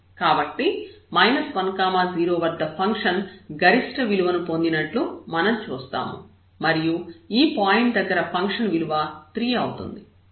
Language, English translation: Telugu, So, here we see that the maximum value is achieved at this point minus 1 0 which is the value of the function is 3 at this point